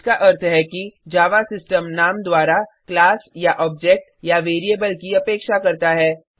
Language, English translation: Hindi, This means, Java is expecting a class or object or a variable by the name system